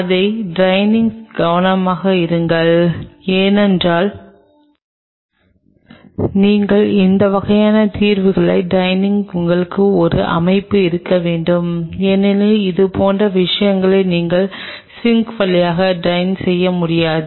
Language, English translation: Tamil, And be careful about draining it because when you are draining these kinds of solutions you should have a setup because you cannot drain such things through the sink